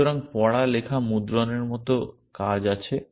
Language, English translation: Bengali, So, there are actions like read, write, print